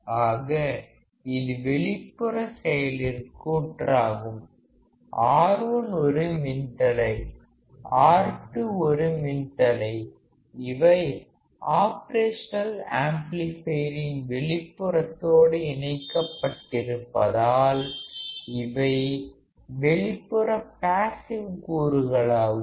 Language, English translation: Tamil, Because we have R2 and R1; so, this is external passive component, R1 is resistor, R 2 is resistor; these are externally connected to the Op amp that is why they are external passive components